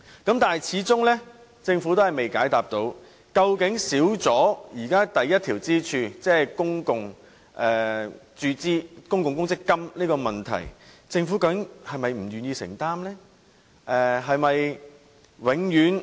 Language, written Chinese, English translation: Cantonese, 可是，政府始終未能解答，對於現在缺少了第一根支柱，即公共公積金的問題，究竟政府是否不願意承擔？, Yet in view of the absence of the first pillar a government - run pension fund the Government failed to answer whether it was unwilling to undertake the commitment